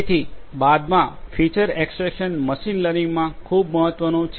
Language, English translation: Gujarati, So, following which feature extraction which is very important in machine learning